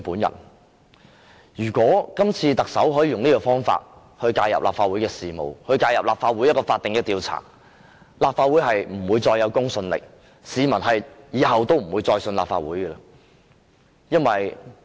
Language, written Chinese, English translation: Cantonese, 如果特首可以用這種方法介入立法會的事務，介入立法會一項法定的調查，立法會便不會再有公信力，市民以後再不會相信立法會。, If the Chief Executive can interfere with the affairs and the statutory inquiry of the Legislative Council in such a way the Legislative Council will lose its credibility and the public will no longer trust the Legislative Council